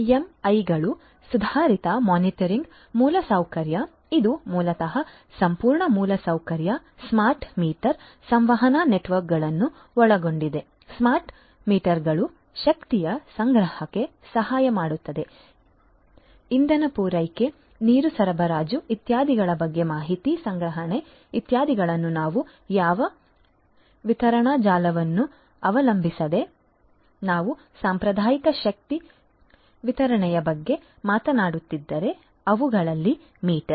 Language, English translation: Kannada, AMIs Advanced Metering Infrastructure it basically comprises the whole infrastructure, smart meters, communication networks etcetera, smart meters help in the collection of energy, you know collection of information about the energy supply, water supply, etcetera you know depending on what distribution network we are talking about, if we are talking about the traditional you know energy distribution the meters in those